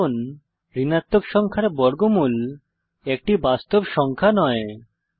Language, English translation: Bengali, As square root of negative number is not a real number